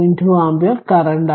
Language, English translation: Malayalam, 2 ampere current right